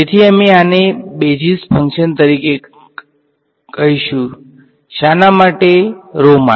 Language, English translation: Gujarati, So, we will call this as basis functions for what for rho